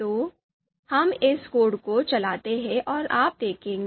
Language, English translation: Hindi, So let us run this code and you would see